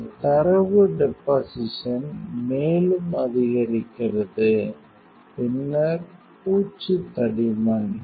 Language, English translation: Tamil, This data deposition also increases then coating thickness also now we are going to increase